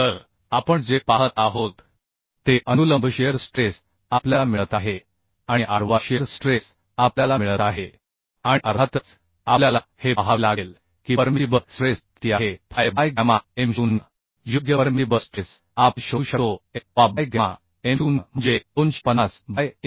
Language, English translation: Marathi, 5 MPa So what we see the vertical shear stress we are getting this and horizontal shear stress we are getting this and of course we have to see what is the permissible stress permissible stress is fy by gamma m0 right permissible stress is we can find out fy by gamma m0 that is 250 by 1